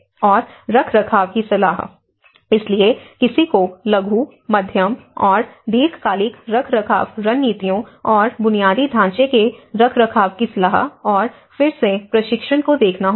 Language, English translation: Hindi, And the maintenance advice: so, one has to look at both short and medium and long term maintenance strategies and infrastructure maintenance advice and retraining